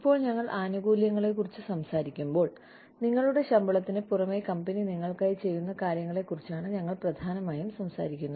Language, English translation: Malayalam, Now, when we talk about benefits, we are essentially talking about things, that the company does for you, in addition to your salary